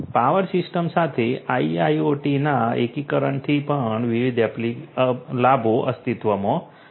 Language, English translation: Gujarati, So many different benefits exist from the integration of IIoT with power system